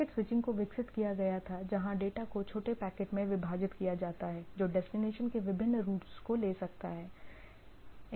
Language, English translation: Hindi, So, it was developed where data is split into small packets which may take different routes to the destination